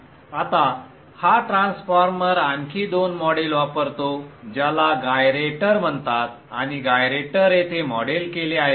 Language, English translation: Marathi, Now this transformer uses two further models called gyraters and theretor is modeled here